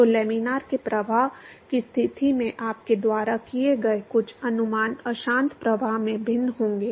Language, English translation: Hindi, So, some of the approximations you make in laminar flow conditions it would be different in turbulent flow